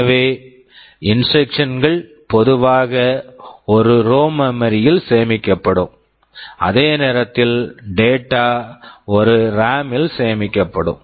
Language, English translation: Tamil, So, instructions are typically stored in a ROM while data are stored in a RAM